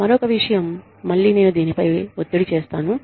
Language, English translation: Telugu, The other thing is, again, i will stress on this